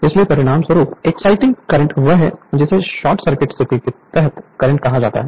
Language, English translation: Hindi, So, as a result the exciting curre[nt] your what you call current under short circuit condition 0